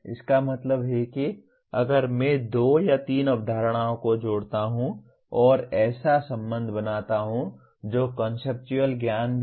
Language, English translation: Hindi, That means if I combine two or three concepts and create a relationship that is also conceptual knowledge